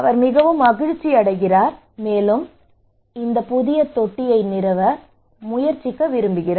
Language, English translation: Tamil, So he was very happy okay, and he wanted to try this new tank to install